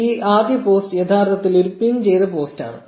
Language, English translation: Malayalam, So, this first post is actually a pinned post